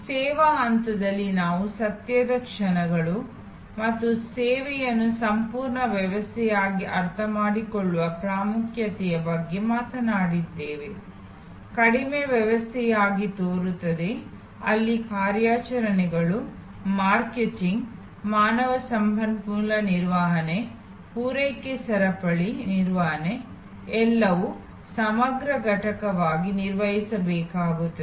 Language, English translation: Kannada, In the service stage we talked about the moments of truth and the importance of understanding service as a complete system, as a seem less system, where operations, marketing, human resource management, supply chain management have to all work as an integrated entity